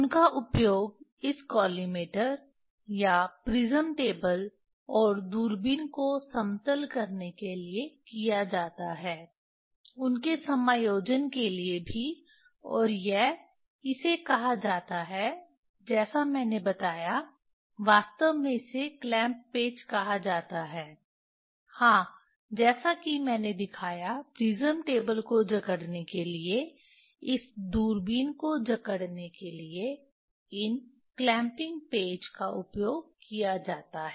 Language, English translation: Hindi, They are used to label this collimator or prism table, and the telescope, also their adjustment or this is called this what I told this actually it is called clamp screw, yes as I showed for clamping the clamping the prism table clamping the this telescope